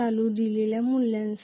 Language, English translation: Marathi, For a given value of current